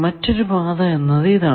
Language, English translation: Malayalam, Is there any other path